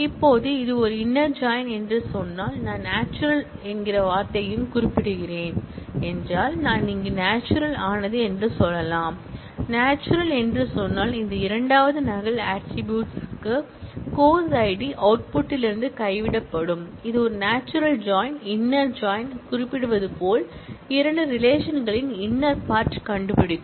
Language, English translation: Tamil, Now, if in addition to saying that, this is an inner join, if I also specify the word natural, I can say natural here, if say natural, then this second duplicate attribute course id will be dropped from the output that becomes a natural join, inner join as the name suggests, finds out the inner part of the two relations